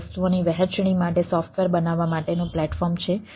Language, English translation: Gujarati, it is a platform for creation of the software